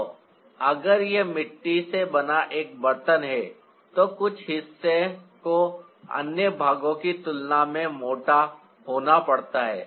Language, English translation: Hindi, so if it's a pot made out of clay, then some part has to be thicker than the other part